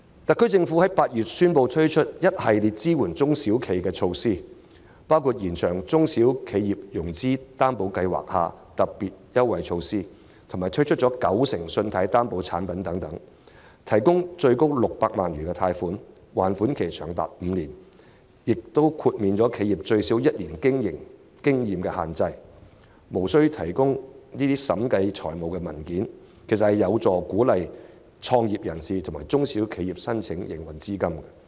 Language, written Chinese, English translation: Cantonese, 特區政府在8月宣布推出一系列支援中小企的措施，包括延長中小企融資擔保計劃下特別優惠措施的償還本金期，以及推出九成信貸擔保產品，提供最高600萬元貸款，還款期長達5年，並豁免企業最少具1年營運經驗的要求，亦無須提供經審計的財務文件，實有助鼓勵創業人士及中小企申請，以取得營運資金。, In August the SAR Government announced a series of measures to support SMEs including extending the period of principal repayment for the special concessionary measure under the SME Financing Guarantee Scheme and launching a new 90 % Loan Guarantee Product which offers as much as 6 million of loan guarantee for up to five years . The new product also lifts the requirements on one years minimum operation experience and submission of audited financial statements of applicants which should help invite applications from entrepreneurs and SMEs in need of working capital